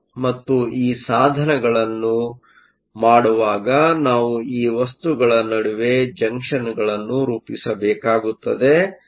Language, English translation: Kannada, And in devices, we will have to form junctions between these materials